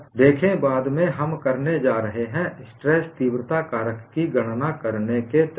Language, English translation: Hindi, See, later on, we are going to have methodologies to calculate the stress intensity factor